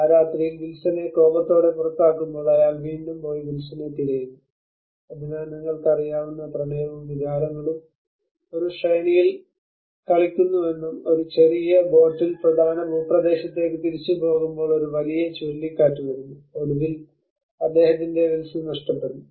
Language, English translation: Malayalam, That night when he throws Wilson out in his anger he again goes back and searches for Wilson so with both love and emotions you know play in a sequence and when he was travelling back to the mainlands in a small boat a huge hurricane comes and finally he loses his Wilson